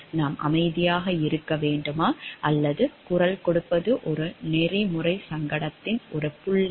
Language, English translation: Tamil, Should we keep silent or should we voice is a point of ethical dilemma